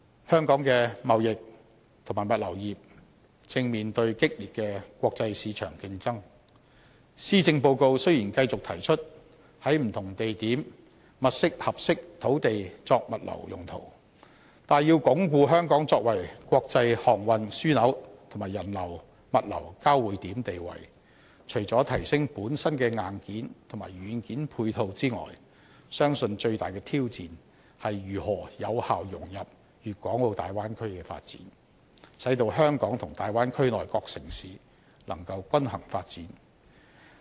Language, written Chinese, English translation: Cantonese, 香港的貿易和物流業正面對激烈的國際市場競爭，施政報告雖然繼續提出在不同地點物色合適土地作物流用途，但要鞏固香港作為國際航運樞紐和人流物流交匯點的地位，除了提升本身的硬件和軟件配套之外，相信最大的挑戰，是如何有效融入大灣區的發展，使到香港及大灣區內各城市能夠均衡發展。, The trading and logistics industries in Hong Kong are facing strong competition in the international market . While the Policy Address states that the Government will identify suitable sites for logistics use in order to consolidate Hong Kongs status as an international maritime and aviation centre and a hub for people flows and cargo flows I believe we must apart from enhancing our complementary hardware and software meet the biggest challenge of effectively integrating into the Bay Area development so that Hong Kong and other cities of the Bay Area can develop in a balanced manner